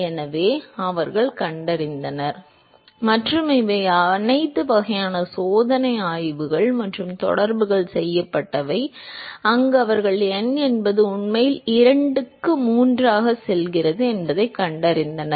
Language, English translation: Tamil, So, they found and these were done by all kinds of experimental studies and correlations, where they look found out that is n actually goes as 2 by 3